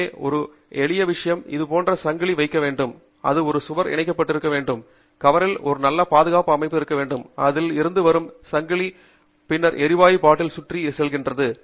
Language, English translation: Tamil, So, a simple thing that is done is to put a chain like this, so that it is then attached to the wall; there should be a good securing system on the wall from which there is a chain that comes around, and then, goes around the gas bottle